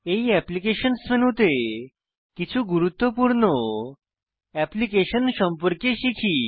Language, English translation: Bengali, In this Applications menu, let us get familiar with some important applications